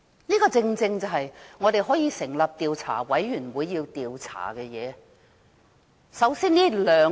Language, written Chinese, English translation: Cantonese, 這些正是我們要成立調查委員會去調查的事。, These are matters to be investigated by an investigation committee